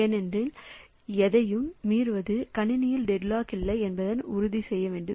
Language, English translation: Tamil, So, violating any of them will ensure that there is no deadlock in the system